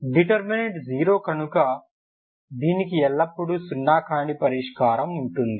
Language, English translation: Telugu, So determinant is 0 so you will have a non zero solution